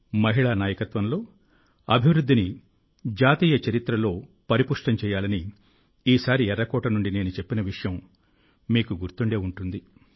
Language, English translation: Telugu, You might remember this time I have expressed from Red Fort that we have to strengthen Women Led Development as a national character